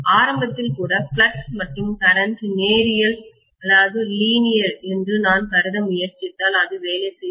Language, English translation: Tamil, If I simply try to assume that flux and current are linear even in the beginning, that is not going to work